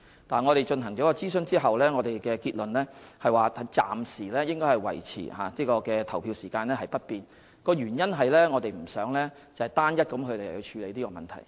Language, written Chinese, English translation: Cantonese, 但是，在進行諮詢後，我們的結論是暫時應該維持投票時間不變，原因是我們不想單一地處理這個問題。, Nonetheless after the consultation our conclusion is that the polling hours should remain unchanged for the time being because we do not want to tackle this issue in an isolated manner